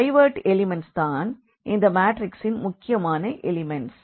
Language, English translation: Tamil, The pivot element are the important elements of this matrix